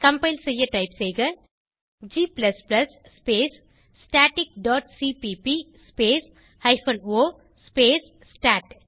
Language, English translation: Tamil, To compile type g++ space static dot cpp space hyphen o space stat